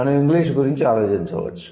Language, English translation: Telugu, We might think about English